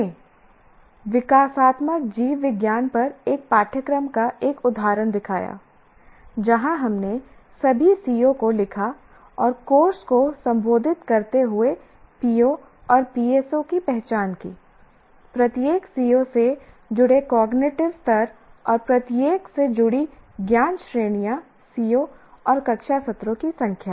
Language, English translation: Hindi, And then we have created a, we showed an example of course on developmental biology wherein we wrote all the COs and identified the POs and PSOs,Os the course addresses the cognitive level associated with each C O and the knowledge categories associated with each C O and the number of classroom sessions